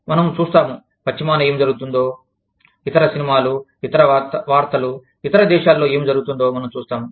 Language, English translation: Telugu, We would see, what was happening in the west, other movies, other news, we would see, what was happening, in other countries